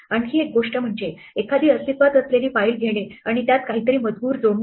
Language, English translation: Marathi, The other thing which might be useful to do is to take a file that already exists and add something to it